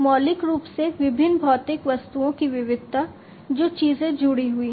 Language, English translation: Hindi, Fundamentally, diversity of the different physical objects, the things that are connected